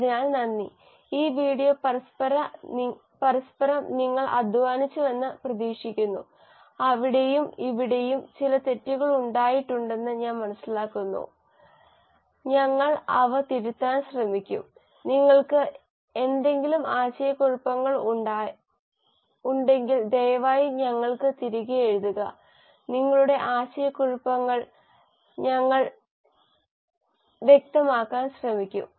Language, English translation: Malayalam, So thank you and hopefully you have enjoyed this series of videos; I do understand there have been a few mistakes here and there, we will try to correct them and if you have any confusions please write back to us and we will try to clarify your confusions